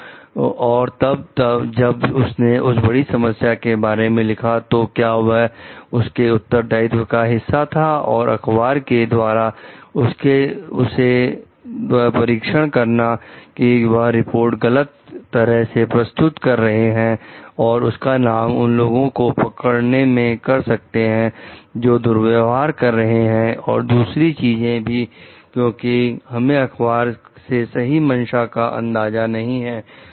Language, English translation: Hindi, So, and then if she is written about potential problems is it a part of her responsibility also to cross check with the newspaper like whether they are misrepresenting her report and using her name to like book people for misconduct and other things because we do not really know the true intention of the newspaper